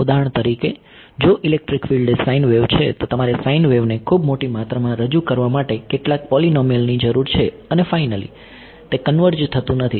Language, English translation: Gujarati, For example, if an electric field is a sine wave how many polynomials you need to represent a sine wave right a very large amount and finally, it does not converge